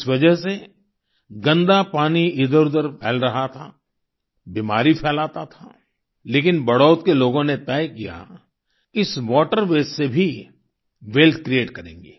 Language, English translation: Hindi, Because of this dirty water was spilling around, spreading disease, but, people of Badaut decided that they would create wealth even from this water waste